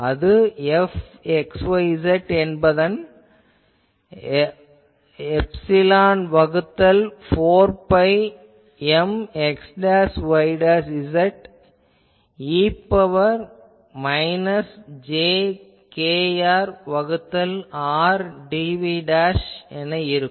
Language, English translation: Tamil, So, F will be epsilon by 4 pi v dashed M e to the power minus jkr by R dv dash